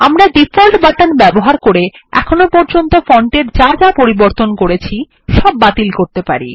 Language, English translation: Bengali, We can also use the Default button to undo all the font size changes we made